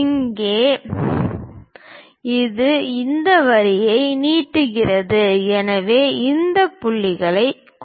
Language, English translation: Tamil, Now, this one just extend these lines, so mark these points